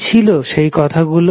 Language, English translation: Bengali, What were those words